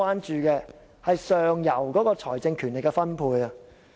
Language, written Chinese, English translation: Cantonese, 如何改變財政權力的分配？, How to change the distribution of such powers?